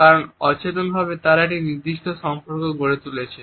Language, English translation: Bengali, Because they have developed a particular association unconsciously